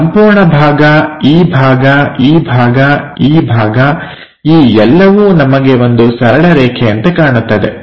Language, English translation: Kannada, So, this entire part, this part, this one, this one, this one entirely we will see it like a straight line